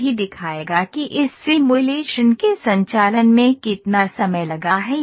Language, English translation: Hindi, It will also show how much time has it taken for conducting this simulation